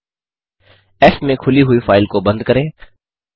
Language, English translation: Hindi, Let us close the file opened into f